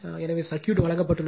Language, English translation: Tamil, So, this is the circuit is given